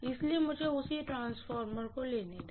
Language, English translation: Hindi, So let me take the same transformer, right